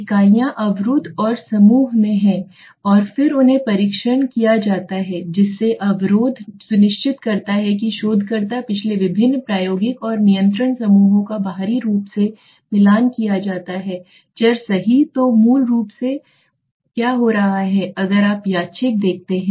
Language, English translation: Hindi, Units are blocked or group right and then they are tested the blocking the researcher ensures that previous the various experimental and control groups are matched closely on the external variable right so basically what is happening if you look at this randomized